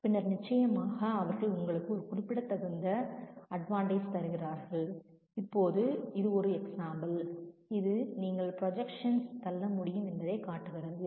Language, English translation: Tamil, And then certainly they give you a significant advantage and now this is an example which show that you can push the projection